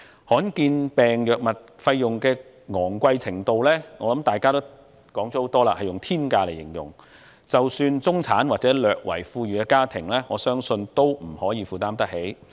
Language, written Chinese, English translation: Cantonese, 罕見疾病藥物費用的昂貴程度，大家已多次以"天價"一詞來形容，我相信即使中產或略為富裕的家庭也未必負擔得來。, The high level of costs for rare disease drugs has been described many times as astronomical by Members and I believe these drugs are not even affordable by middle - class or slightly well - off families